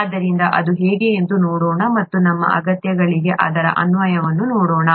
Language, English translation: Kannada, So let us see how that is and let us see an application of that towards our needs